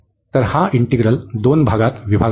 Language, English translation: Marathi, So, we have break this integer into two parts